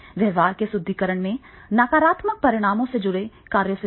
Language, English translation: Hindi, In reinforcement of behavior, avoid actions associated with negative consequences